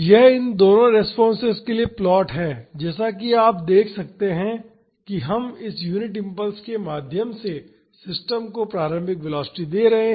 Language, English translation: Hindi, This is the plot for both these responses so, as you can see we have giving an initial velocity to the system through this unit impulse